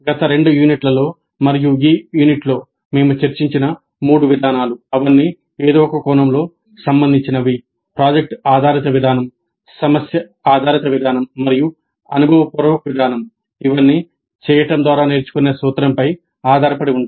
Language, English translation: Telugu, And the three approaches which we have discussed in the last two units and this unit they are all related in some sense in the sense that they all are based on the principle of learning by doing, project based approach, problem based approach and experiential approach